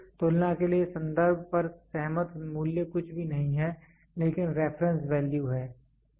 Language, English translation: Hindi, So, the value which agreed on reference for comparison is nothing, but the reference value